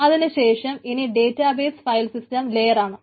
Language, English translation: Malayalam, so database file system layer